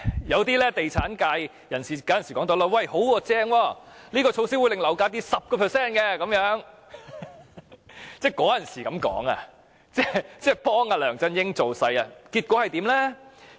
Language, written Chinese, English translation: Cantonese, 有些地產界人士大讚"辣招"，說這些措施會令樓價下跌 10%， 他們當時這樣說，幫助梁振英造勢，結果是怎樣呢？, Some members of the property sector praised the curb measures saying that they would cause the property price to drop by 10 % . At that time they made such remarks to help LEUNG Chun - yings electioneering . What happened in the end?